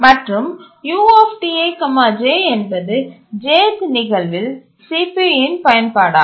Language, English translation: Tamil, And the UTIJ is the CPU utilization at the Jth instance